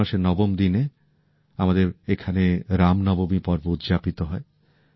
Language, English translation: Bengali, On the ninth day of the month of Chaitra, we have the festival of Ram Navami